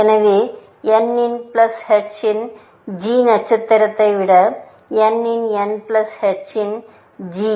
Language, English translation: Tamil, So, g of n plus h of n greater than g star of n plus h of n